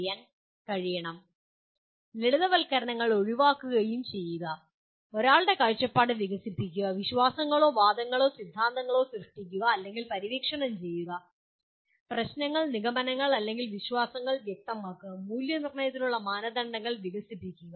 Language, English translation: Malayalam, Further, refining generalizations and avoiding over simplifications; developing one’s perspective, creating or exploring beliefs arguments or theories; clarifying issues, conclusions or beliefs; developing criteria for evaluation